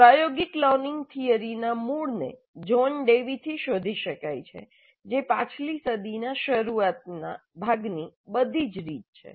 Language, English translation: Gujarati, The roots of experiential learning theory can be traced to John Dewey all the way back to the early part of the last century